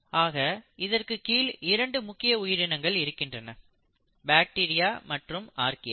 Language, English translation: Tamil, So it has 2 major groups of organisms, the bacteria and the Archaea